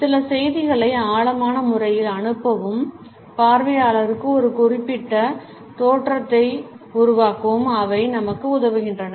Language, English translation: Tamil, They help us to pass on certain messages in a profound manner and create a particular impression on the viewer